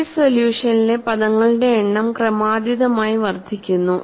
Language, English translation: Malayalam, And the number of terms in the series solution is incrementally increased